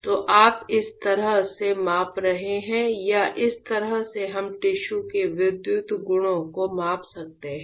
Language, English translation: Hindi, So, this is how you are measuring the or this is how we can measuring measure the electrical properties of the tissues